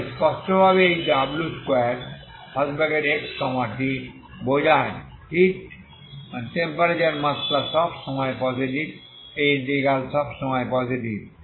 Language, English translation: Bengali, So clearly this is a square of w so implies the temperature is always positive this integral is always positive